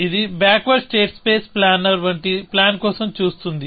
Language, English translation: Telugu, It is looking for a plan like a backward state space planner